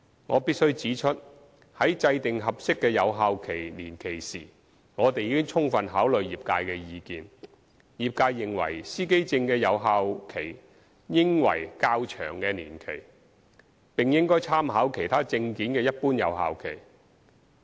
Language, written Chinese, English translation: Cantonese, 我必須指出，在制訂合適的有效期年期時，我們已充分考慮業界的意見。業界認為司機證的有效期應為較長的年期，並應參考其他證件的一般有效期。, I must point out that in determining the appropriate duration of the validity period we have fully considered the trades views that the validity period of driver identity plates should be a longer period and reference should be made to the normal validity period of other identification documents